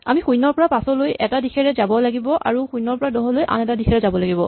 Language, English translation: Assamese, We have to go from 0 to 5 in one direction and 0 to 10 in the other direction